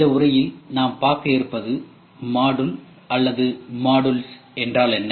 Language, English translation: Tamil, In this lecture we will try to cover, what is module or modules